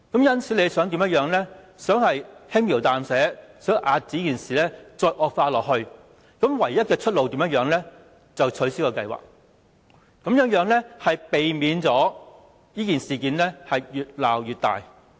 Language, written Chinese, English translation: Cantonese, 因此，政府便想輕描淡寫，遏止這件事惡化下去，而唯一的出路便是否決這項計劃，從而避免這事件越鬧越大。, As such the Government has sought to understate the matter to prevent it from worsening . The only way out is to veto this plan to prevent the incident from becoming increasingly worse